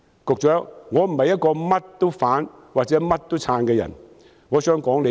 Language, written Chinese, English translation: Cantonese, 局長，我並非一個甚麼都反對或支持的人，我只想說數句。, Secretary I am not someone who will oppose or support everything . I just wish to say a couple of words